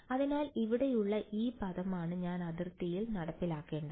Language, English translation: Malayalam, So, this term over here is what I have to enforce on the boundary right